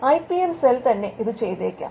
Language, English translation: Malayalam, The IPM cell should be seen as a can do it